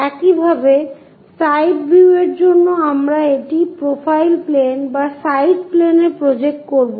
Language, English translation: Bengali, Similarly, for side view we will projected it on to profile plane or side plane